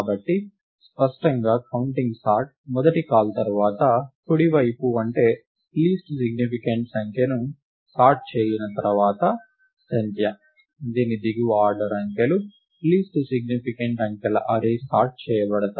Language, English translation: Telugu, So, clearly, after the first call to counting sort; right that is, after sorting the least significant digit, the number, whose lower order digits – the the array of least significant digits are sorted